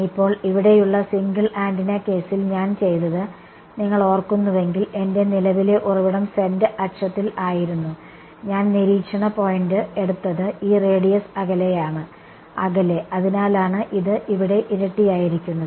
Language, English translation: Malayalam, Now, in the single antenna case over here, if you remember what I done was that my current source was along the z axis and I has taken the observation point to be this radius apart; a apart right, that is why this a squared was there